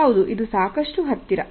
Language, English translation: Kannada, That is close enough